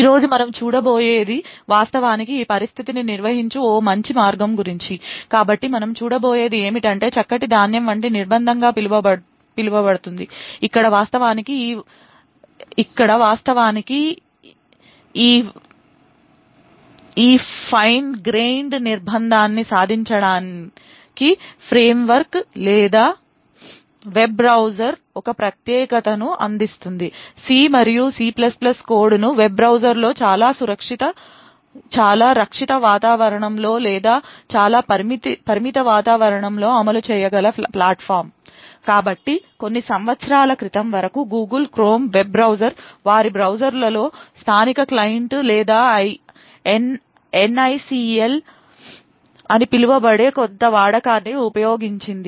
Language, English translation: Telugu, What we will be seeing today is a better way or to actually handle this situation, so what will be looking at is something known as Fine grained confinement where the framework or the web browser would provide a particular platform by which C and C++ code can be executed in a web browser in a very protected environment or in a very confined environment, so till a few years back the Google Chrome web browser used some use something known as Native Client or NACL in their browsers to actually achieve this Fine grained confinement